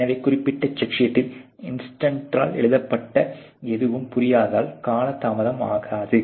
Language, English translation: Tamil, So, that there is no time delay, because of non understanding of whatever has been written by the inspector on the particular check sheet